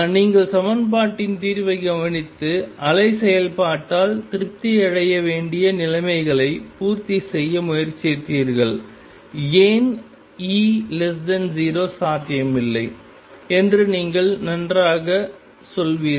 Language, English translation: Tamil, You look through the solution of the equation and tried to satisfy the conditions that has to be satisfied by the wave function and you will fine why E less than 0 is not possible